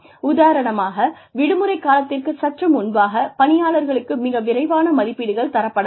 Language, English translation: Tamil, For example, just before the holiday season, people may give, very quick appraisals